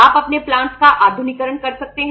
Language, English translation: Hindi, You can modernize your plants